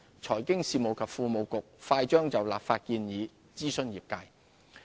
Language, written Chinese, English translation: Cantonese, 財經事務及庫務局快將就立法建議諮詢業界。, The Financial Services and the Treasury Bureau will shortly consult the industry on the legislative proposals